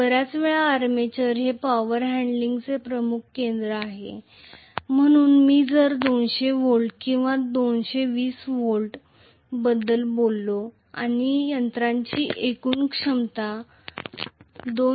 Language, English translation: Marathi, Most of the times because armature is the major power handling hub, so if I talk about 200 volts or 220 volts and the overall capacity of the machine is 2